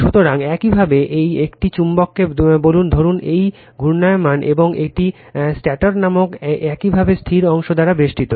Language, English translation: Bengali, So, you have a magnet say, suppose it is revolving right and it is surrounded by your static part called stator